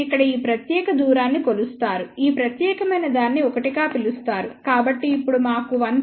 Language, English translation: Telugu, You measure this particular distance here call this particular thing as one so, now, we need 1